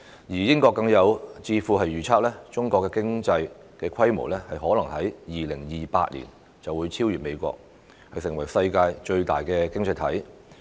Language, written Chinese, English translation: Cantonese, 英國更有智庫預測，中國的經濟規模可能在2028年便會超越美國，成為世界最大的經濟體。, A think tank in the United Kingdom even forecast that China would probably overtake the United States in the scale of economy and become the worlds largest economy